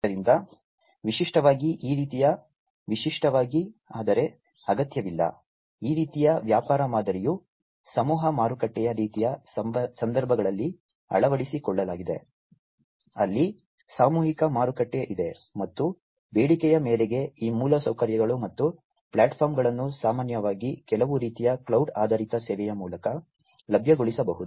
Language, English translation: Kannada, So, typically this kind of typically, but not necessarily; this kind of business model is an adopted in mass market kind of situations, where you know there is a mass market, and on demand these infrastructures and the platforms could be made available, typically through some kind of cloud based service